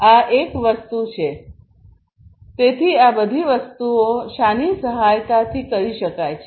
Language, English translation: Gujarati, So, this is one thing; so all of these things can be done with the help of what